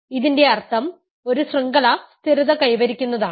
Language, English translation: Malayalam, This is exactly the meaning of a chain stabilizing